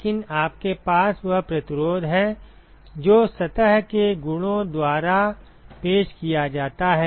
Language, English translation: Hindi, But you have the resistance that is offered by the properties of the surface right